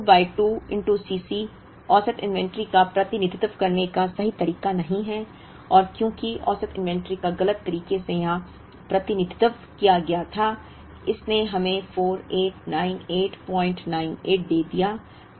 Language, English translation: Hindi, But, Q by 2 into C c, is not the correct way to represent the average inventory and because the average inventory was represented in an incorrect way here, it ended up giving us a 4898